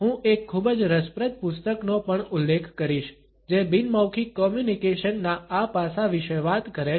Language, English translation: Gujarati, I would also refer to a very interesting book which talks about this aspect of non verbal communication